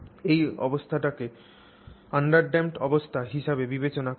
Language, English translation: Bengali, So, that is called an undamped condition